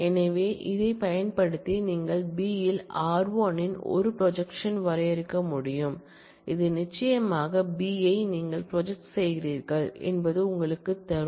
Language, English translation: Tamil, So, using that you can define a projection of r1 on B, which will certainly give you it is you are doing projection on B